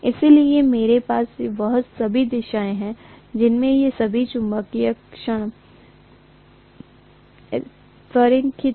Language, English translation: Hindi, So I am going to have multiple directions towards which all these magnetic moments are aligned, right